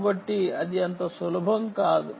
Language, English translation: Telugu, ok, so its not so easy, right